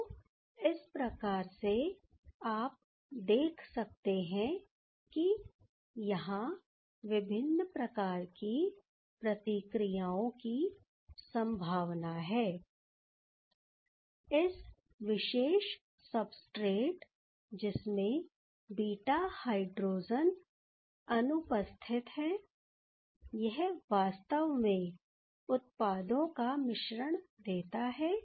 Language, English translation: Hindi, So, if you see that where there are different type of reactions are possible, in these type of particular substrates where these beta hydrogen is absent, and actually it gives the mixture of products